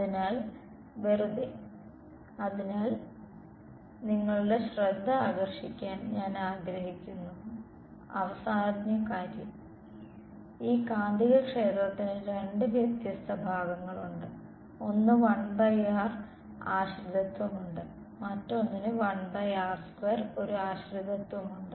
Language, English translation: Malayalam, So, just; so, one last thing I’d like to draw your attention to is that there are two different parts of this magnetic field, one has a 1 by r dependence and the other has a 1 by r square difference